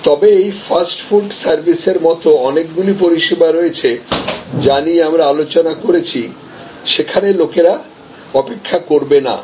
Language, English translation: Bengali, But, there are many categories of services as we discussed like this fast food service, where people will not wait